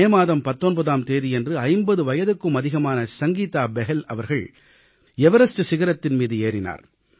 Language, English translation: Tamil, On the 19th of May, Sangeeta Bahal, aged more than 50, scaled the Everest